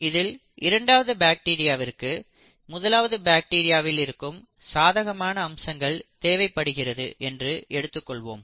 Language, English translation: Tamil, And the second bacteria requires certain favourable features of the first bacteria